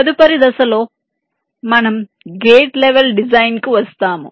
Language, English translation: Telugu, ok, in in the next step we come to the gate level design